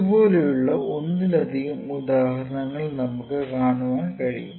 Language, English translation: Malayalam, So, we can have multiple examples in this